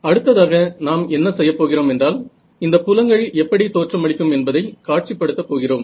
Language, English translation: Tamil, The next thing we would like to do is to visualize what these fields look like ok